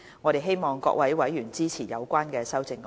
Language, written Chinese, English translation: Cantonese, 我希望各位委員支持相關修正案。, I hope Members will support the relevant amendments